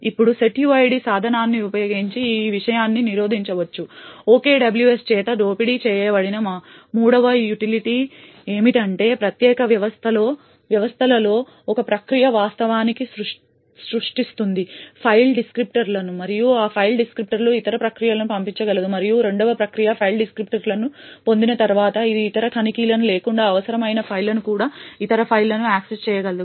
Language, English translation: Telugu, Now using the setuid tool this thing can be prevented, the third utility which is exploited by OKWS is that in unique systems one process would actually create the file descriptors and could pass that file descriptors to other processes and once the second process obtains the file descriptors it would be able to access privileged files or any other files as required without any other checks